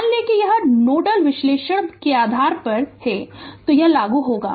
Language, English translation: Hindi, If you assume it is ground in nodal analysis you we will apply right